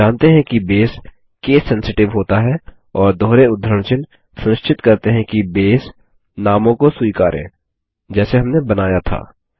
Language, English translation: Hindi, We know that Base is case sensitive and the double quotes ensure that Base will accept the names as we created